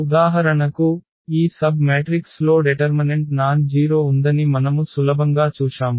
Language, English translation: Telugu, For example, this was a easy we have easily seen that this submatrix has determinant nonzero